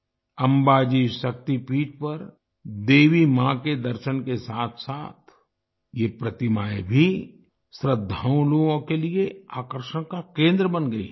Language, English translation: Hindi, Along with the darshan of Mother Goddess at Amba Ji Shakti Peeth, these statues have also become the center of attraction for the devotees